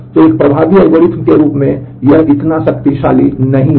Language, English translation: Hindi, So, as an effective algorithm it is not that powerful